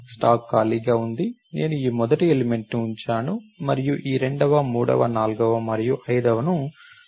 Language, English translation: Telugu, So, this was the, the stack was empty, I put this first element and push this second, third, fourth and fifth